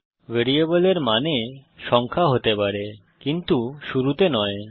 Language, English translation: Bengali, A variable name can have digits but not at the beginning